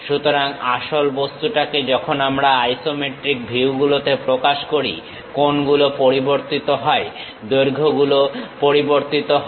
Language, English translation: Bengali, So, they true objects when we are representing it in isometric views; the angles changes, the lengths changes